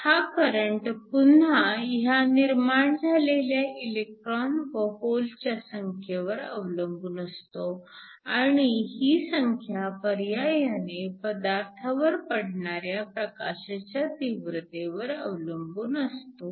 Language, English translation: Marathi, The current once again is proportional to the number of electrons and holes that are generated, which is directly proportional to the intensity of the light that is falling